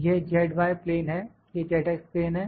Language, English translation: Hindi, This is z y plane, this is z x plane